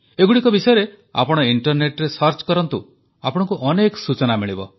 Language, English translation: Odia, Search about them on the Net and you will find a lot of information about these apps